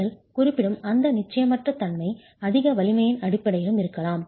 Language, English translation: Tamil, This uncertainty that you're referring to could be in terms of over strength as well